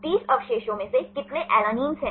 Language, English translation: Hindi, Out of 30 residues how many alanines